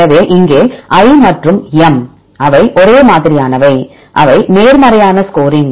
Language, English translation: Tamil, So, here I and M, they are similar right they are a positive score